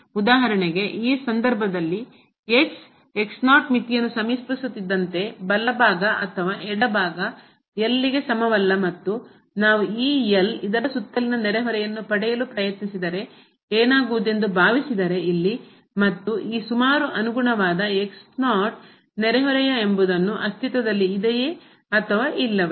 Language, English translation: Kannada, For example, in this case as approaches to naught, the limit whether right or the left is not equal to and what will happen if we try to get a neighborhood around this here and whether the corresponding neighborhood around this naught will exist or not